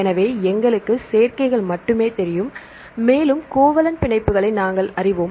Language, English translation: Tamil, So, we know only the combinations and we know the covalent bonds